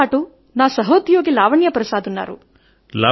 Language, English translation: Telugu, My fellow Lavanya Prasad is with me